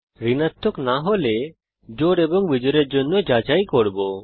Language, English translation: Bengali, if the number is not a negative, we check for even and odd